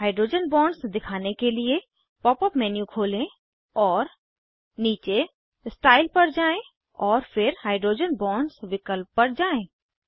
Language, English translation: Hindi, To display hydrogen bonds: Open the pop up menu and scroll down to Style and then to Hydrogen Bonds option